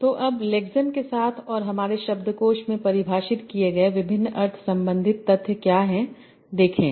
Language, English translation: Hindi, So now what are the various meaning related facts you can extract from the where the lexemes are defined in my dictionary